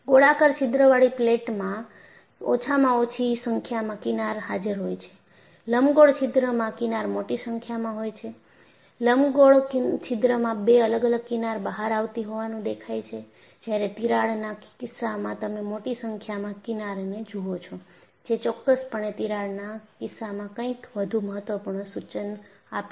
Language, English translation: Gujarati, The least number of fringes are present in the case of a plate with a circular hole; in the case of an elliptical hole, the fringe has become larger and you also find an appearance of another fringe coming out at the edge of the hole, whereas in the case of a crack, you see a large number of fringes which is definitely indicative of something more important in the case of a crack